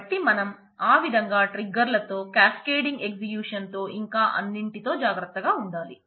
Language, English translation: Telugu, So, you have to be careful with triggers in that manner so, cascading executions and all those